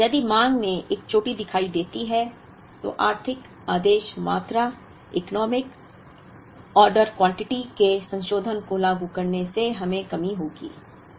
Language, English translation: Hindi, But, if one of the demand shows a peak, then implementing a modification of the economic order quantity, would lead us to shortage